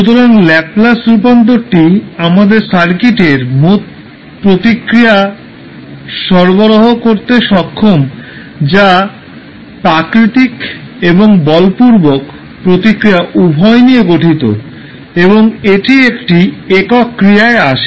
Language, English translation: Bengali, So Laplace transform is capable of providing us the total response of the circuit, which comprising of both the natural as well as forced responses and that comes in one single operation